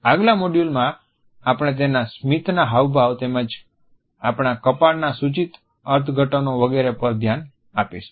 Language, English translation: Gujarati, In the next module, we would look at the expressions of his smiles as well as the connotative interpretations of our head notes etcetera